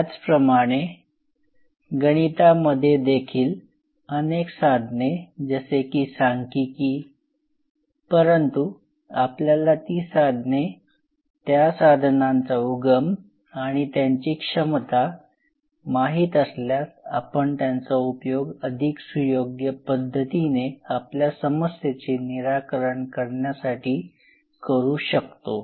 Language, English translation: Marathi, Similarly, several mathematical tools similarly like statics there are these are tools, but if you know the tools and the origin of the tools and the power of the tools, it will help you to become much wiser in designing our problem